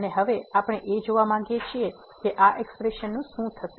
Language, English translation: Gujarati, And now we want to see that what will happen to these expressions